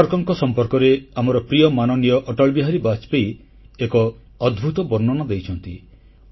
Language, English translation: Odia, A wonderful account about Savarkarji has been given by our dear honorable Atal Bihari Vajpayee Ji